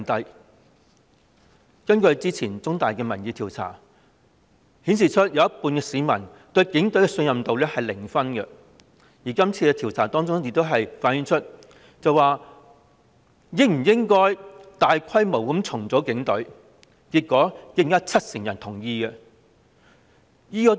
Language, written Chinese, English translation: Cantonese, 香港中文大學早前進行的民意調查顯示，有一半市民對警隊的信任度是零分，而調查亦問到應否大規模重組警隊，結果亦有近七成人同意。, Recently an opinion poll conducted by The Chinese University of Hong Kong showed that half of the general public gave zero marks to the Police Force; and the poll also asked whether the Police Force should undergo large - scale reorganization and found that nearly 70 % of the people agreed